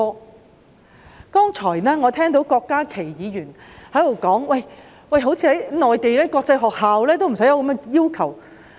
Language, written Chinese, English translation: Cantonese, 我剛才聽到郭家麒議員說，似乎連內地的國際學校也沒有這樣的要求。, Just now I heard Dr KWOK Ka - ki say that even international schools on the Mainland have not imposed such requirements